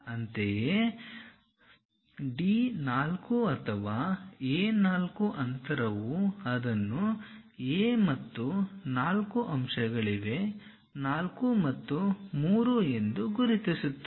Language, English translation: Kannada, Similarly, D 4 or A 4 distance locate it from A to 4 mark that point as 4 and 3